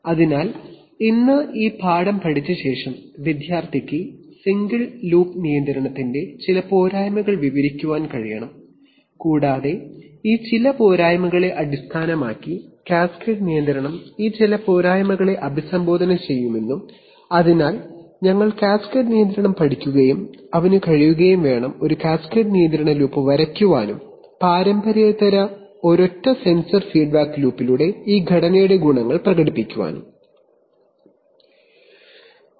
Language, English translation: Malayalam, So today after learning this lesson the student should be able to describe some drawbacks of single loop control and based on some of these drawbacks we can see that cascade control will address some of these drawbacks and therefore we will learn cascade control and he should be able to draw a cascade control loop and demonstrate the advantages of this structure over a single sensor feedback loop unconventional